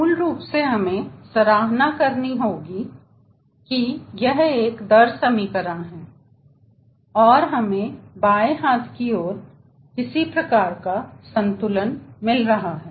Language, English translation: Hindi, basically we have to appreciate that this is a rate equation and we are getting some sort of a balance